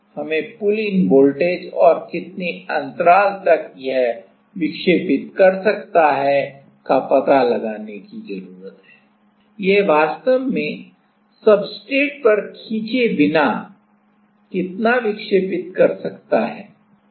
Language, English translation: Hindi, We need to find out the pullin voltage and also the how much gap it can deflect, how much it can deflect without actually pulled in on the substrate